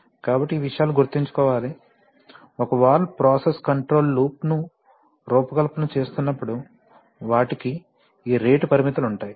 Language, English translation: Telugu, So these things are to be kept in mind, when one is designing a process control loop with a valve right, that they have these rate limits